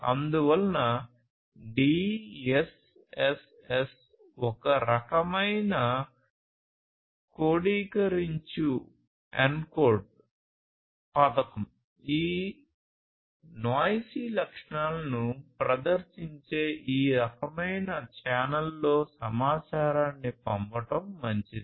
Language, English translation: Telugu, So, DSSS kind of encoding scheme is good for sending information in these kind of channels exhibiting you know these noisy characteristics